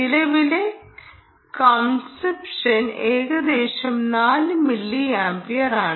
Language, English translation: Malayalam, the current consumption is roughly four milliamperes